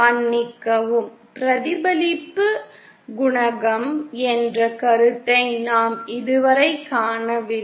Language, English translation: Tamil, We have not come across the concept of reflection coefficient yet